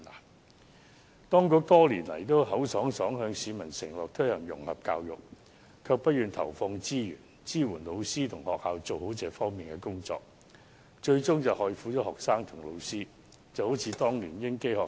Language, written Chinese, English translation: Cantonese, 政府當局多年來都信口開河，向市民承諾推行融合教育，但卻不願投放資源，支援老師及學校做好這方面的工作，最終害苦了學生和老師，情況就如當年的英基學校。, Over the years the government has promised to promote integrated education in society but without real actions and they are reluctant to devote resources to support teachers and schools to do a good job in this area which has eventually harmed the students and teachers . The situation was like that of the English Schools Foundation